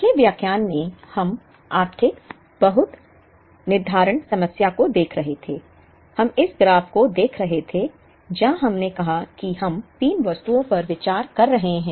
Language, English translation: Hindi, In the previous lecture, we were looking at the economic lot scheduling problem; we were looking at this graph, where we said that we are considering say 3 items